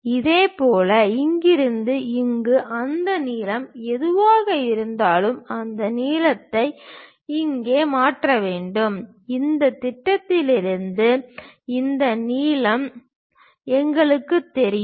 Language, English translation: Tamil, Similarly, from here to here whatever that length is there, we have to transfer that length here and from this projection we know this length